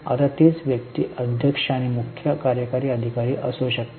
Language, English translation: Marathi, Now same person may be chairman and CEO